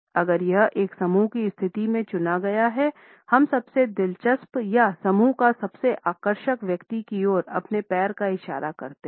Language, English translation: Hindi, If it is opted in a group position, we tend to point our lead foot towards the most interesting person or the most attractive person in the group